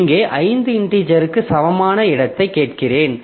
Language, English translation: Tamil, So, here I'm asking for space which is equal to five integers